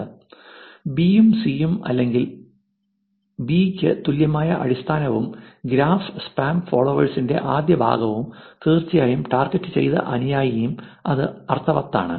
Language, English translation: Malayalam, The base which is B and C or its equivalent to B and first part of the graph spam followers and of course, targeted follower and that makes sense